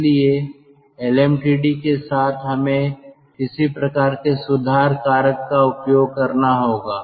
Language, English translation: Hindi, so lmtd, along with lm td we have to use some sort of correction factor